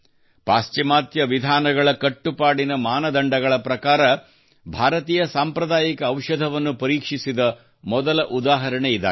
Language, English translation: Kannada, This is the first example of Indian traditional medicine being tested vis a vis the stringent standards of Western methods